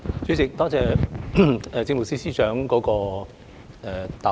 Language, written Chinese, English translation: Cantonese, 主席，多謝政務司司長的答覆。, President I thank the Chief Secretary for Administration for his reply